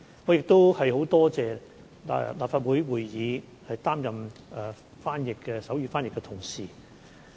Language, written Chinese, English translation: Cantonese, 我亦很感謝在立法會會議擔任手語翻譯的同事。, I also wish to thank those colleagues who provide sign language interpretation in Legislative Council meetings